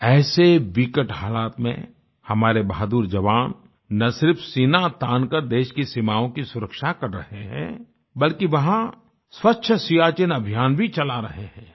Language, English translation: Hindi, In such a difficult situation, our brave heart soldiers are not only protecting the borders of the country, but are also running a 'Swacch Siachen' campaign in that arena